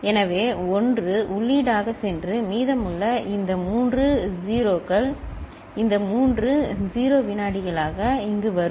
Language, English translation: Tamil, So, 1 will go as input and rest these three 0s will come here as this three 0s, clear